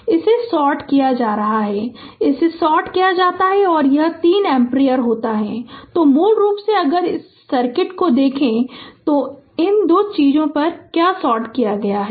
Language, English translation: Hindi, And this is sorted, this is sorted and this 3 ampere is there that to so basically if you look into this circuit, so basically it what will happen at these two things are sorted